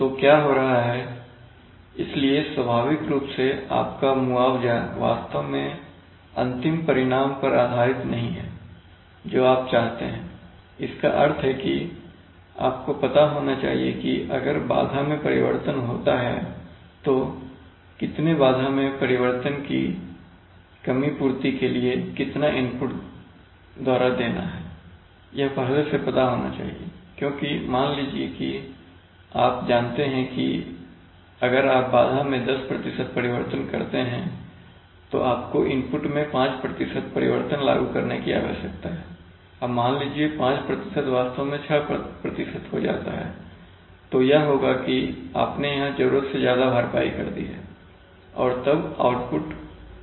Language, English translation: Hindi, So what is happening, so naturally your compensation is not really based on the final result that you desire, that you desire, in the sense that you must know that if there is disturbance change then, how much disturbance change is to be compensated by how much input, this must be known beforehand because suppose this, this relationship, suppose you know that if you have a ten percent change in the disturbance you need to apply a five percent change in the input now suppose that five percent becomes actually six percent then what will happen is that you have overcompensated this and the and the output will not be maintained